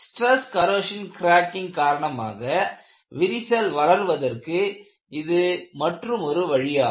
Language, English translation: Tamil, What are the methods that could be used to prevent stress corrosion cracking